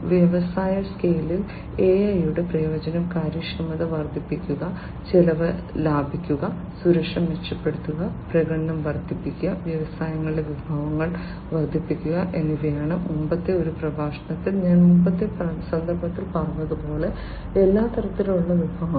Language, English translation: Malayalam, The usefulness of AI in the industry scale are to increase the efficiency, save costs, improve security, augment performance and boost up resources in the industries; resources of all kind as I said in a previous context in a previous lecture before